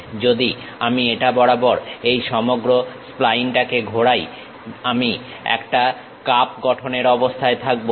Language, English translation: Bengali, If I revolve this entire spline around this one, I will be in a position to construct a cup